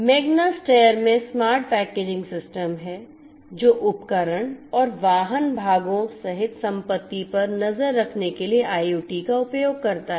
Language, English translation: Hindi, Magna Steyr has the smart packaging system which uses IoT for tracking assets including tools and vehicle parts